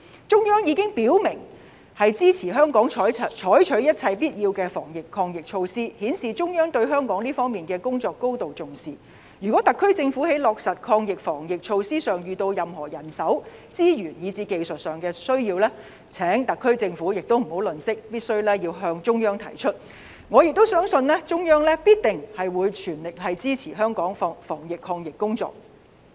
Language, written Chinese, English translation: Cantonese, 中央已經表明支持香港採取一切必要的防疫抗疫措施，顯示中央對香港這方面的工作高度重視，如果特區政府在落實防疫抗疫措施上遇到任何人手、資源，以至技術上需要，請特區政府不要吝嗇，必須向中央提出，我相信中央必定全力支持香港的防疫抗疫工作。, The Central Government has already stated that it would support Hong Kong in taking all necessary measures to fight the pandemic . It shows that the Central Government attaches great importance to the anti - pandemic efforts of Hong Kong . If the SAR Government has needs for more manpower resources or technical support in the course of implementing the anti - pandemic measures I urge the SAR Government not to be shy to ask for the Central Governments help and I believe the Central Government will definitely give its full support to Hong Kongs anti - pandemic work